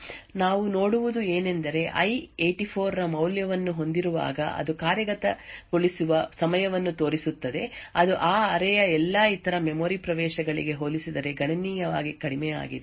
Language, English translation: Kannada, So if you go back and look at this particular slide what we see is that when i has a value of 84 it shows a execution time which is considerably lower compared to all other memory accesses to that array